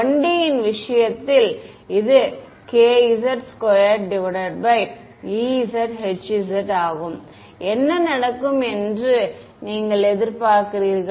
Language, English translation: Tamil, In the case of 1D, this was k z squared by e z h z, what do you expect will happen